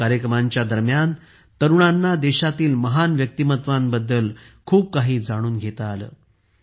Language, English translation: Marathi, During this, our youth got to know a lot about the great personalities of the country